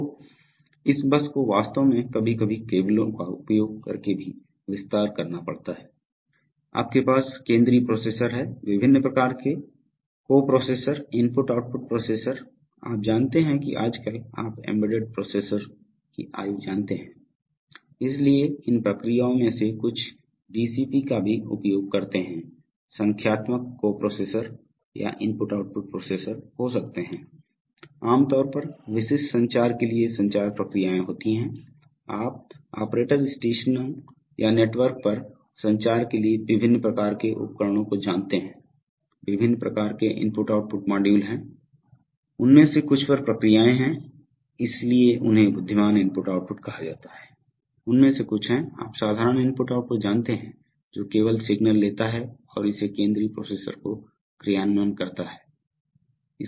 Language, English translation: Hindi, So this bus really has to extend sometimes using cables also, so you have central processor, various kind of coprocessors, I/ O processor, you know nowadays we are, we are having the age of you know embedded processors, so some of these processes are use even DSP’s, so there could be numeric coprocessors or I/O processors, generally there are communication processes for specific communication to, you know kinds of devices like operator stations or for communication on the network, there are various kinds of I/O module, some of them have processes on them, so they are called intelligent I/O, some of them are, you know ordinary I/O which just takes signals and feeds it to the central processor